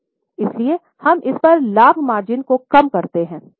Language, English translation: Hindi, So, we reduce the profit margin on it